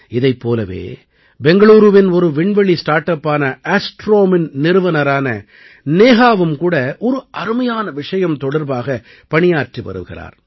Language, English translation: Tamil, Similarly, Neha, the founder of Astrome, a space startup based in Bangalore, is also working on an amazing idea